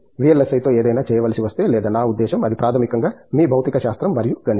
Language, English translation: Telugu, If it is something to do with VLSI or I mean it is your physics and mathematics, basically